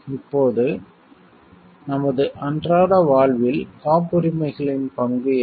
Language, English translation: Tamil, Now, what is the role of patents in our everyday life